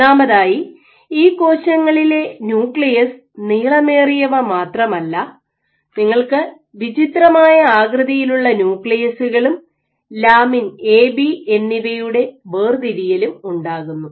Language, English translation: Malayalam, So, first of all not only were these cells nuclei were elongated, but you have these odd shaped nuclei and the segregation of lamin A and B